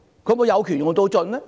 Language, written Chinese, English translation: Cantonese, 她是否有權用盡呢？, Has she used her power to the fullest extent?